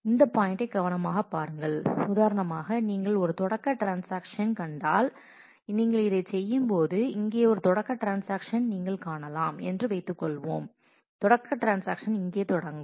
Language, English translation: Tamil, Just look at this point carefully; if you find a start transaction for example, when you are working on this, suppose you come across a start transaction here, you will come across the start transaction transactions start here